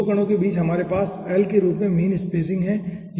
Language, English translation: Hindi, okay, so between 2 particles we are having mean spacing as l